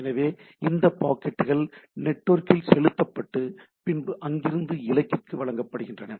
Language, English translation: Tamil, So, these packets are pumped into the network and these go on the network and they are delivered at the destination